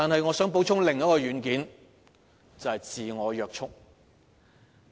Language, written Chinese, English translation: Cantonese, 我想補充另一個軟件，即自我約束。, I would like to add another software namely self - restraint